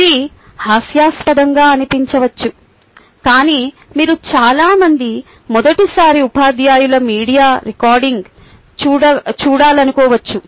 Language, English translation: Telugu, it might have seemed funny but, ah, you might want to see a video recording of many first time teachers